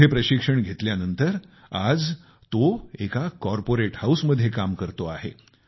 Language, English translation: Marathi, After completing his training today he is working in a corporate house